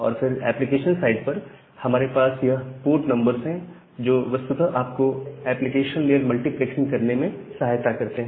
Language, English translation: Hindi, And then at the application side, we have these port numbers that actually help you to do the application layer multiplexing